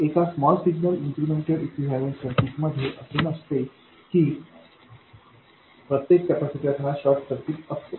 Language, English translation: Marathi, In a small signal incremental equivalent circuit, it is not that every capacitor becomes a short